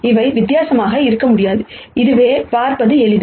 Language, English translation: Tamil, They cannot be different and this is easy to see